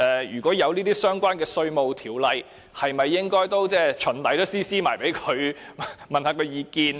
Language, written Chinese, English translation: Cantonese, 如果有相關的稅務的條例，是否應該循例把副本交送給他們，詢問他們的意見？, If any relevant legislation is to be proposed in future should a copy be sent to OECD beforehand for consultation purpose?